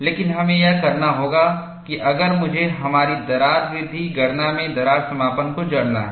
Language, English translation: Hindi, But we have to do that, if I have to embed crack closure, in our crack growth calculation